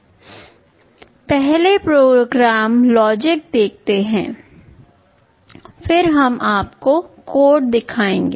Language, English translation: Hindi, Let us look at the program logic first, then we shall be showing you the code